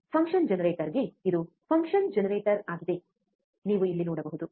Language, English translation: Kannada, To the function generator, this is the function generator, like you can see here